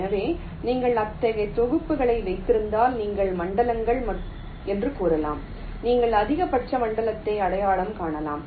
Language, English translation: Tamil, so if you have ah set of such, you can say zones, you can identify the maximal zone